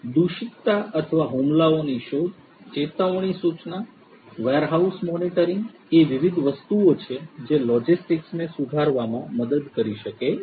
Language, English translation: Gujarati, Detection of contamination or attacks, alert notification warehouse monitoring are the different different things that can help improve the logistics